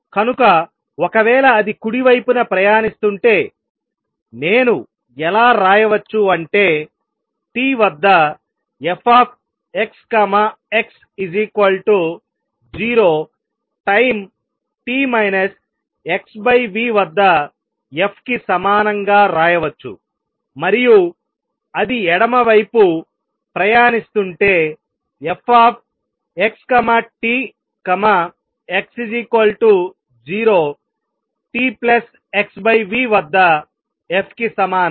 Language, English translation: Telugu, How about that traveling to the left, this would be given by f at x t would be what; it was at a positive distance x plus v t at time t equal to 0 and if I want to write in general f x t is going to be equal to f x minus x 1 plus v t minus t 1 at t equal to 0